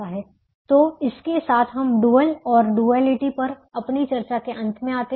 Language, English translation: Hindi, so with this we come to a end of our discussion on duality and the dual